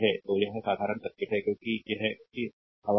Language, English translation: Hindi, So, this is a simple circuit because this is raw air